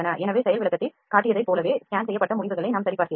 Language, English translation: Tamil, So, this is how we check the scanned results, like we showed in the demonstration